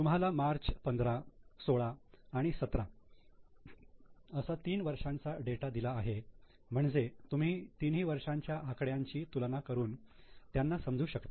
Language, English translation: Marathi, 3 year data is given to you for March 17, 16 and 15 so that you can have an understanding of comparison how the trends have happened in the last three years